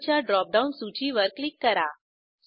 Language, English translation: Marathi, Click on Role drop down list